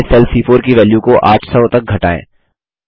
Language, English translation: Hindi, Again, lets decrease the value in cell C4 to 800